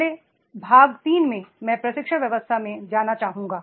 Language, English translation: Hindi, But in part 3 first I would like to go with the training system